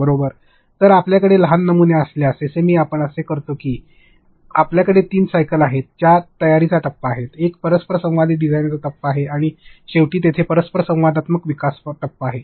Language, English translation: Marathi, So, in that if you have small prototypes, in SAM what we do is we have three cycles in which there is a preparation phase, there is an interactive design phase and lastly there is interactive development phase